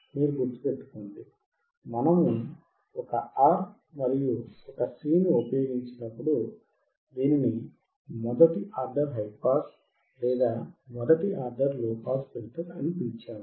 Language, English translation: Telugu, You remember when we use one R and one C, we also called it is first order high pass or first order low pass filter